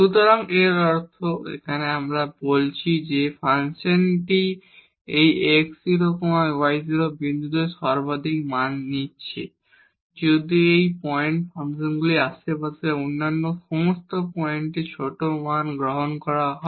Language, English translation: Bengali, So, meaning here we are calling that the function is taking maximum value at this x 0 y 0 point if at all other points in the neighborhood of this point function is taking smaller values